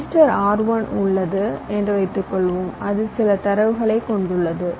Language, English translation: Tamil, suppose i have a register r, one which hold some data